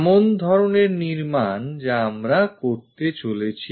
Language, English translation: Bengali, Such kind of construction what we are going to make it